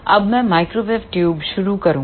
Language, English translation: Hindi, Now, I will start microwave tubes